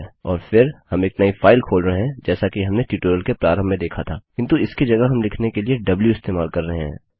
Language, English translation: Hindi, And then were opening a new file as we saw in the start of this tutorial but instead were using w for write